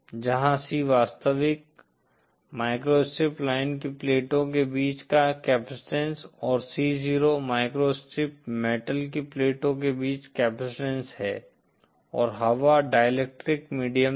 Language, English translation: Hindi, Where C is the measure, capacitance between the plates of the actual microstrip line and C 0 is the capacitance between the microstrip metal plates, had air been the dielectric medium